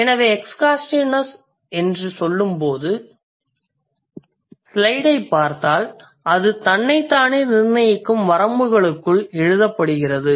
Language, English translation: Tamil, So, when I say exhaustiveness, if you look at the slide, it's written within the limits which it sets itself